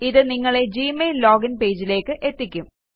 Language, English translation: Malayalam, This will direct you to the Gmail login page